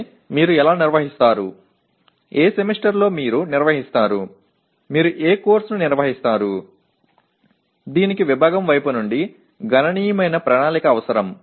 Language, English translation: Telugu, But how do you organize, in which semester you organize, along with what course you organize, this requires considerable planning by the department